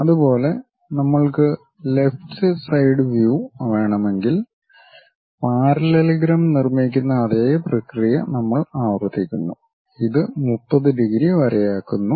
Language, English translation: Malayalam, Similarly, if we want left side view we repeat the same process construct that parallelogram, making horizon 30 degrees line